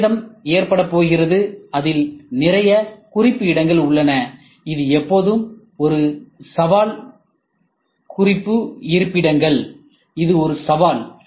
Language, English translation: Tamil, There is going to be a damage, it has lot of reference locations, which is always a challenge reference locations this is a challenge